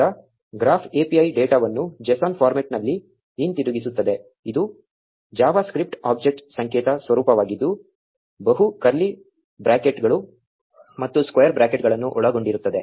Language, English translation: Kannada, Now the graph API returns the data in a json format, which is javascript object notation format comprising of multiple curly brackets and square brackets